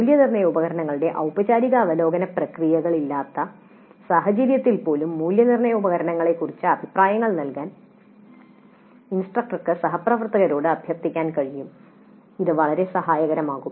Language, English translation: Malayalam, Even in situations where there is no such formal process of review of the assessment instruments the instructor can request her colleagues to give comments on the assessment instruments